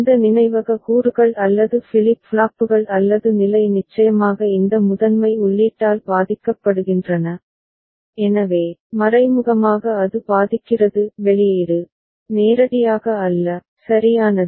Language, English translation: Tamil, These memory elements or flip flops or the state get influenced by this primary input of course, so, indirectly it effects , not directly, right